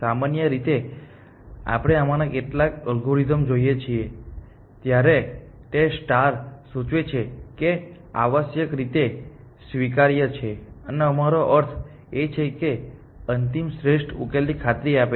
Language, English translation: Gujarati, Generally, when we look at some of these algorithms, that star implies that, it is admissible essentially, and by admissible, we mean that it is guaranteed to final optimal solution